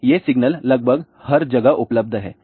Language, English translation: Hindi, So, these signals are available almost everywhere